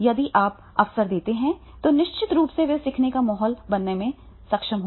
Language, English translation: Hindi, If you give him the opportunity, definitely he will be able to create that learning environment